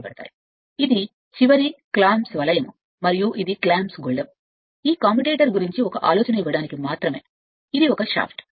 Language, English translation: Telugu, And this is end clamp ring and this is clamp bolt, this is just to give your then this is a shaft just to give one ideas about this commutator right